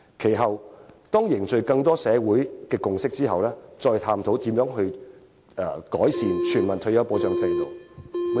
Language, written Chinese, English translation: Cantonese, 接下來，便當凝聚社會共識，深入探討如何制訂完善的全民退休保障制度。, And after settling the controversy the Government should proceed to forge social consensus together and explore in depth the formulation of a comprehensive universal retirement protection system